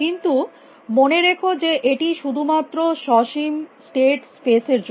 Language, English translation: Bengali, But keep in mind that this is only for finite state spaces only